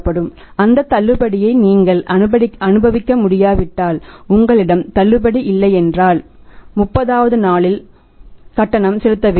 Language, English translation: Tamil, But if you are not able to enjoy that discount, if you do not have the discount then you have to make the payment was on 30th day